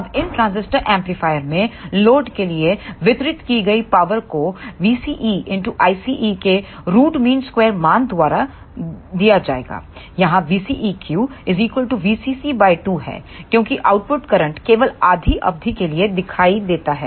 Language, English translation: Hindi, Now, the power delivered to the load in these transistor amplifier will be given by the root mean square value of V ce into I ce, here V CEQ will be half of the V CC because the output current is appeared for only half duration